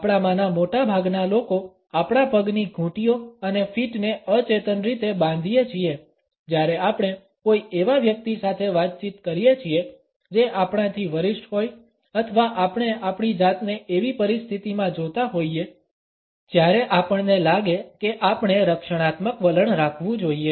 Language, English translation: Gujarati, Most of us tend to unconscious the lock our ankles and feet whenever we are interacting with a person who is either senior to us or we find ourselves in a situation when we feel that we have to be rather on the defensive attitude